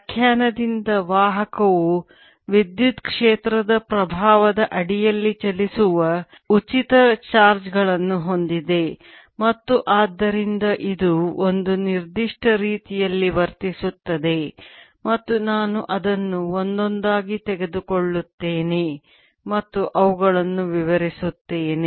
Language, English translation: Kannada, today a conductor, by definition, has has free charges that move under the influence of an electric field and therefore it behaves in a particular way, and i am going to take its properties one by one and explain them